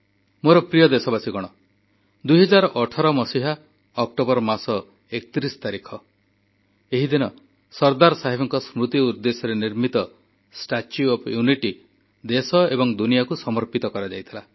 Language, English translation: Odia, My dear countrymen, the 31st of October, 2018, is the day when the 'Statue of Unity',in memory of Sardar Saheb was dedicated to the nation and the world